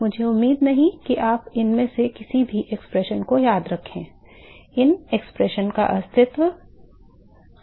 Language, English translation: Hindi, I do not except you to remember any of these expression that it just important to realize the these expression do exist